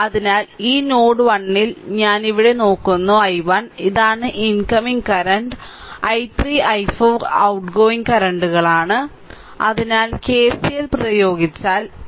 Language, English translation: Malayalam, So, at this node node 1 I am putting it here look i 1, this is the incoming current and i 3 i 4 is outgoing currents so, i 3 plus i 4 if you apply KCL right